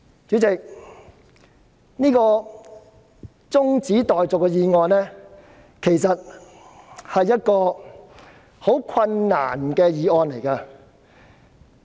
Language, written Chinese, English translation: Cantonese, 主席，這項中止待續議案其實是一項很困難的議案。, President this adjournment motion is actually a motion which involves a great deal of difficulties